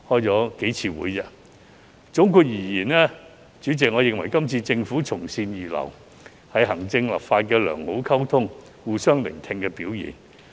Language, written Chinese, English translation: Cantonese, 主席，總括而言，我認為今次政府從善如流，是行政與立法能夠良好溝通、互相聆聽的表現。, Chairman all in all I think the Governments receptiveness to advice this time is a sign of good communication and mutual respect through active listening between the executive authorities and the legislature